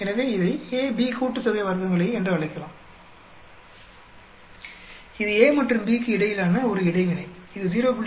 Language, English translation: Tamil, So, we can call this as AB sum of squares; that is an interaction between A and B, which comes out to be 0